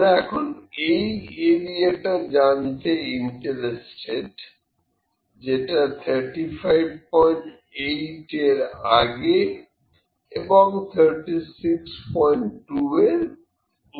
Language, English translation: Bengali, Now, we see we are interested in the area that is before 35